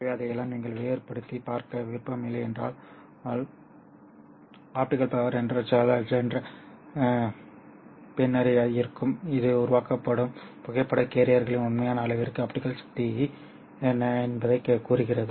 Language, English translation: Tamil, So we if we don't want to distinguish all that, we can simply say that eta will be the fraction which tells us what would be the optical power to the actual amount of photo carriers that are generated